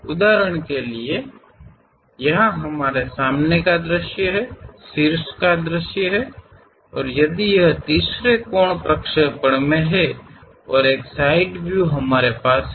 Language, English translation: Hindi, For example, here we have a front view, a top view ah; if it is in third angle projection and a side view we have it